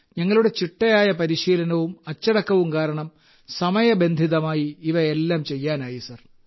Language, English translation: Malayalam, Because of our training and zeal, we were able to complete these missions timely sir